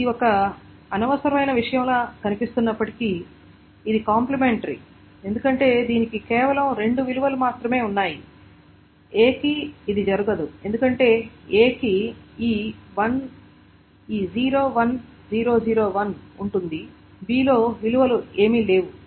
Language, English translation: Telugu, And although this looks like a redundant thing because it is complementary because it has got only two values, it will not happen for A because A will have this 0 1 0 0 0 1